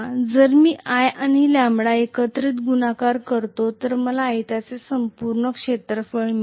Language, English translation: Marathi, So if I multiply i and lambda together I get the complete area of the rectangle